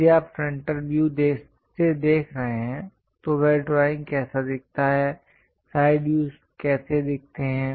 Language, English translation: Hindi, So, if you are looking from frontal view, how that drawing really looks like, side views how it looks like